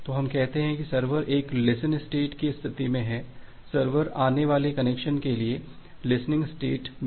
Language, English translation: Hindi, So, we say that the server is in a listen state, the server is listening for the incoming connection